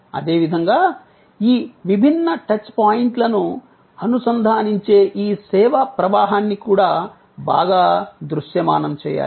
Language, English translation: Telugu, Similarly, this flow of service, which links all these different touch points, also needs to be well visualized